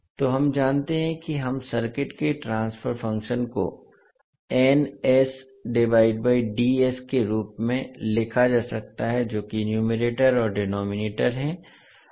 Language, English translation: Hindi, So we know that we the transfer function of the circuit can be written as n s by d s that is numerator and denominator